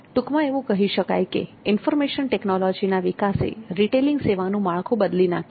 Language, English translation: Gujarati, So as a summary information technology development has changed the structure of retailing